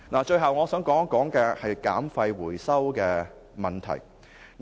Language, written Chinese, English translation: Cantonese, 最後，我想討論減廢回收問題。, At last I would like to discuss waste reduction and recovery